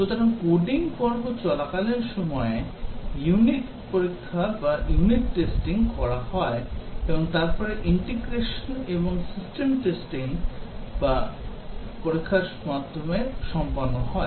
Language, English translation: Bengali, So, that is during the coding phase, unit testing is carried out and then integration and system testing is carried out the testing phase